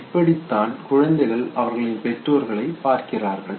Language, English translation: Tamil, Now this is how the infants they look at their parents